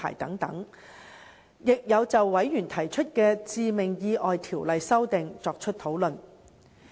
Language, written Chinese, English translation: Cantonese, 事務委員會亦曾就委員提出的《致命意外條例》修訂作出討論。, The Panel also discussed the amendments to the Fatal Accidents Ordinance proposed by members